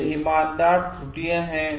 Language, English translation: Hindi, It is honest errors